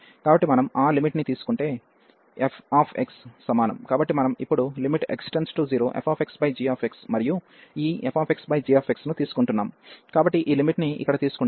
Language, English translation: Telugu, So, if we take that limit f x is equal to so we are taking now the limit as x approaching to 0, and this f x over g x, so taking this limit here